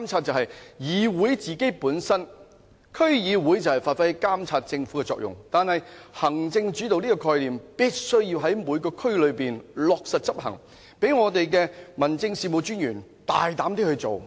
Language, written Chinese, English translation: Cantonese, 區議會本身就是要發揮監察政府的作用，但行政主導的概念必須在每區落實執行，讓民政事務專員可大膽地去工作。, DCs serve to monitor the Government . The principle of executive - led government should be implemented in each district so that our District Officers can have more powers to undertake their tasks